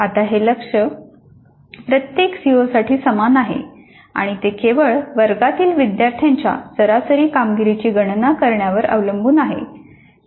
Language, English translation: Marathi, Now this target is same for every CO and it depends only on computing the average performance of the students in the class